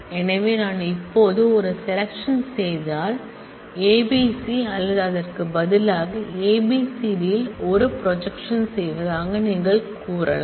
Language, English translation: Tamil, So, you can say that if I now do a selection, if I now do a projection on A B C or rather A B C D